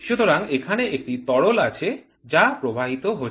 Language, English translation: Bengali, So, there is of fluid which is flowing